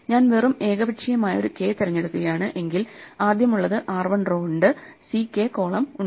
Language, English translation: Malayalam, If I just pick an arbitrary k then the first one is has r 1 rows c k columns